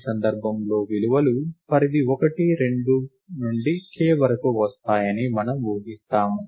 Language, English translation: Telugu, In this case, we assume that, the values come from a range 1, 2 to k